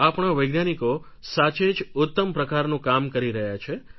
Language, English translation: Gujarati, Our scientists are doing some excellent work